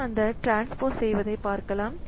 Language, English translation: Tamil, So, this is doing that transpose operation